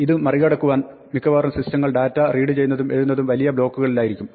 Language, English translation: Malayalam, To get around this most systems will read and write data in large blocks